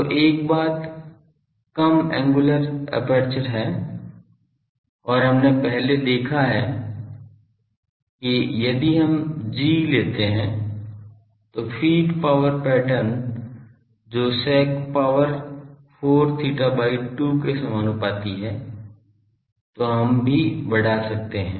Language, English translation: Hindi, So, one thing is small angular aperture and previously we have seen that if we take the g, the feed power pattern that is proportional to sec 4 theta by 2, then also we can maximise